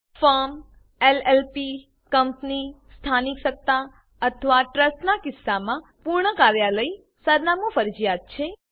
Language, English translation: Gujarati, In case of a Firm, LLP, Company, Local Authority or a Trust, complete office address is mandatory